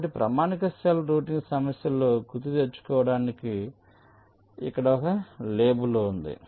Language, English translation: Telugu, so, just to recall, in a standard cell routing problem we have label